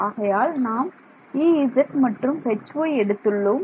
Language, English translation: Tamil, So, I have taken just E z and H y ok